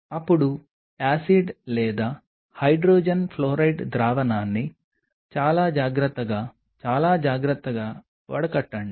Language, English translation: Telugu, Then drain the acid or the hydrogen fluoride solution very carefully very carefully